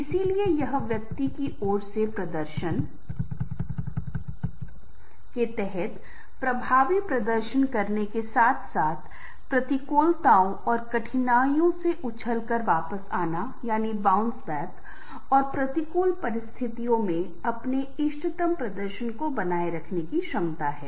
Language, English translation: Hindi, so therefore t is the ability on the part of the individual to perform effectively under performance as well as bounce back from adversities and difficulties and maintain his optimum performance n a adverse situations